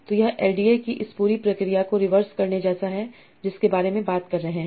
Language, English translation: Hindi, So this is like reversing this whole process of LDR that we are talking about